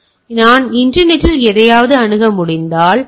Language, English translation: Tamil, So, if I am able to access something over the internet